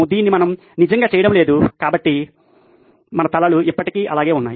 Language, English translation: Telugu, We are not actually doing this, so your heads still remains in place